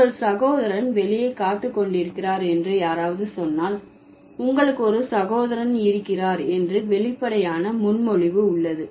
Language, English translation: Tamil, So, if someone tells your brother is waiting outside, there is an obvious presupposition that you have a brother, right